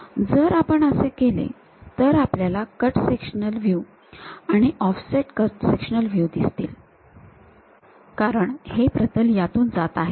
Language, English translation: Marathi, If we do that the cut sectional view, the offset cut sectional view what we will see is because of a plane pass through this